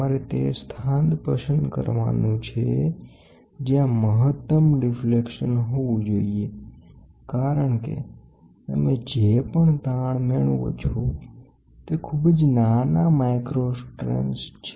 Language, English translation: Gujarati, You have no where is the location to be placed and at that location, maximum deflection should be there because, the strains whatever you get is very small micro strains